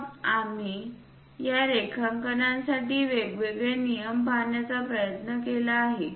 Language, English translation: Marathi, Then we have tried to look at different rules for this drawing lines